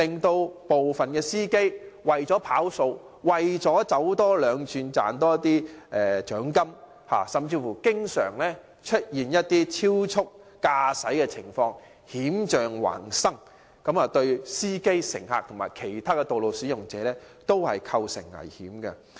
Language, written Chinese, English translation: Cantonese, 有部分的司機為了"跑數"、為了多走兩轉多賺些獎金，經常超速駕駛，險象環生，對司機、乘客和其他的道路使用者均構成危險。, Some drivers often drive at excessive speed in order to meet target or make extra trips for earning more bonus posing danger to drivers passengers and other road users